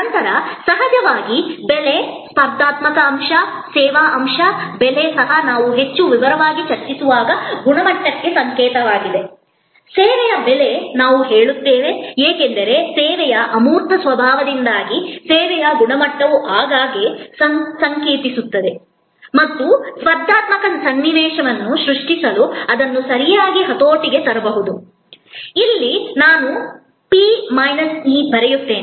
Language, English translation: Kannada, Then there is of course, price, competitive element, service element, price is also signal for quality when we discuss price in more detail, a pricing of service we will say, because of the intangible nature of service often price signals that quality of service and that can be leveraged properly to create a competitive situation, quality here I write P minus E